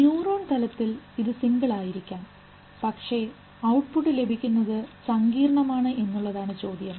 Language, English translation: Malayalam, It may at a level of single neuron but the question is that the output is very complex